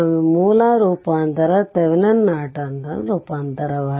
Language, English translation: Kannada, So, sometimes the source transformation we call Thevenin Norton transformation